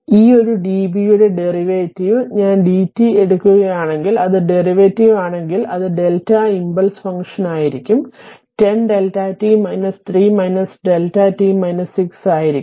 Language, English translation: Malayalam, And if you take the derivative of this one d v by d t, it if you take derivative it will be your delta function that is your impulse function it will be 10 delta t minus 3 minus delta t minus 6